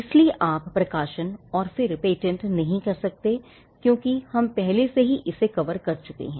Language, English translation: Hindi, So, you cannot publish first and then patent because, we are already covered this